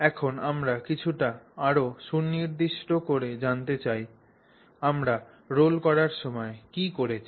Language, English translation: Bengali, So now we want to get a little bit more specific on what have we done while we rolled it